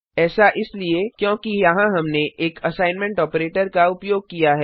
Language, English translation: Hindi, Come back to our program This is because here we have an assignment operator